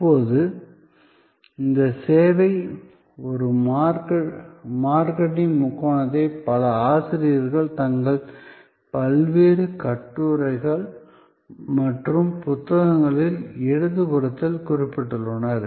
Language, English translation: Tamil, Now, this service a marketing triangle has been referred by many authors in their various articles and books, which are on the left hand side